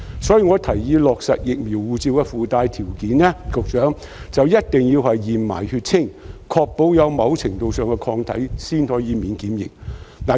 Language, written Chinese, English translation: Cantonese, 所以，局長，我提議落實"疫苗護照"的附帶條件，一定要同時檢驗血清，確保有某程度上的抗體才可以免檢疫。, Therefore Secretary I suggest that additional conditions should be imposed on the vaccine passports requiring that serological testing must be done at the same time to ensure the existence of a certain level of antibodies before exemption from quarantine is granted